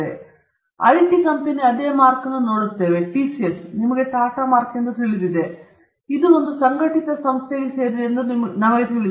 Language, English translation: Kannada, We see the same mark on IT company – TCS you know the Tata mark, we know that it belongs to a conglomerate